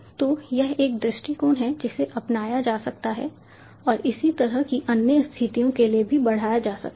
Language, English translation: Hindi, ok, so this is an approach that can be adopted and can be extended for similar other situations as well